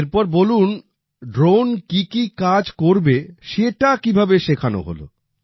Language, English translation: Bengali, Then what work would the drone do, how was that taught